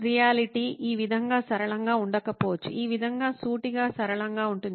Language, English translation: Telugu, The reality may not be as simple as this, as straightforward as this, as linear as this